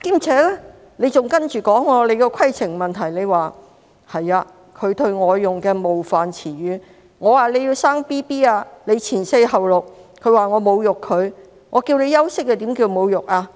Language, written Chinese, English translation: Cantonese, 此外，毛議員還提出規程問題，對容海恩議員："你要生 BB， 就會放取'前四後六'假期，你說我侮辱你，我叫你休息又怎會是侮辱呢？, In addition Ms MO also raised a point of order saying to Ms YUNG Hoi - yan Since you are going to give birth you will take maternity leave for four weeks before and six weeks after childbirth . You said that I had insulted you but how would I insult you when I asked you to take a rest?